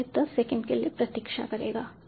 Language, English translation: Hindi, so it will be wait for ten seconds